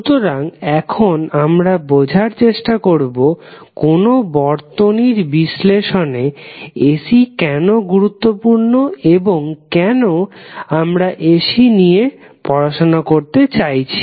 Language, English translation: Bengali, So, now let's try to understand why the AC is important in our circuit analysis and why we want to study